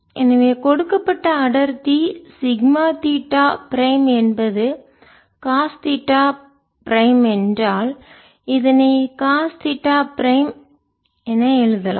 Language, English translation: Tamil, ok, so if the given density, sigma theta prime, is cos theta prime, we can write this: cos theta prime and what they spherical system